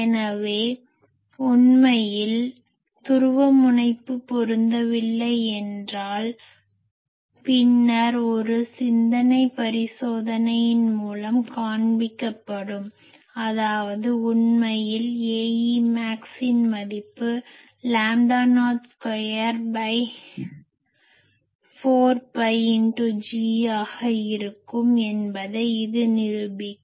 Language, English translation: Tamil, So, actually if the if there is no polarization mismatch, then just later will show, by a thought experiment that these actually A e max value this will be equal to lambda not square by 4 pi into G this will prove